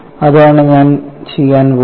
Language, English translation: Malayalam, For which what I am doing